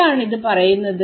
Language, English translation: Malayalam, So, what is it saying